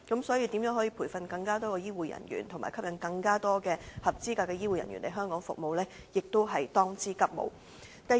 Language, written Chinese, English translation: Cantonese, 所以，培訓更多的醫護人員和吸引更多合資格的醫護人員來港服務，亦是當務之急。, Hence there is a pressing need for the Government to train more health care personnel and attract more qualified health care personnel to come to work in Hong Kong